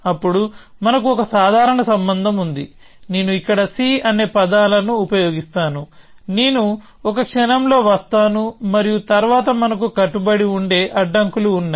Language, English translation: Telugu, Then we have a casual relation; let me just use the terms c here which I will come to in a moment and then we have a set of binding constraints